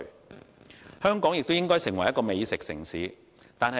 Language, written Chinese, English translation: Cantonese, 第三，香港亦應發展成為美食城市。, Third Hong Kong should also be developed into a gourmet city